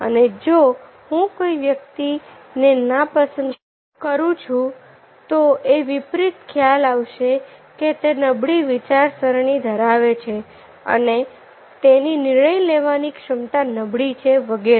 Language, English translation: Gujarati, if i dislike the person, then the reverse perception will come: that is poor in thinking, he has poor decision making ability, and so on